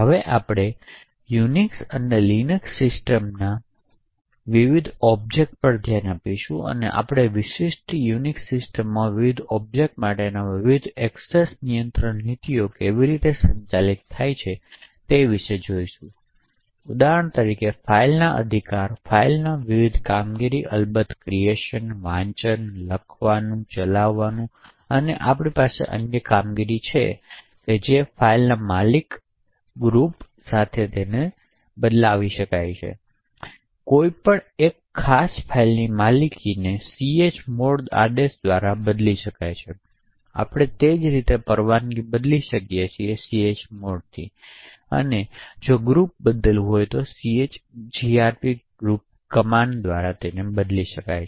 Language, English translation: Gujarati, Now we will look at the various objects in the Unix and Linux system and we will see about how the various access control policies for the various objects are managed in a typical Unix system, so for example a file rights, the various operations on a file are of course the creation, read, write, execute, we also have other operations which relate to ownership, change of permissions and change group, so one could change the ownership of a particular file by the chown command, we can similarly change the permissions for a file with a chmod command and change group of a file with chgrp command